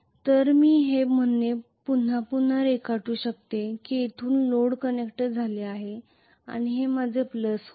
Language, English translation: Marathi, So I can just redraw this saying that from here the load is connected and this is going to be my plus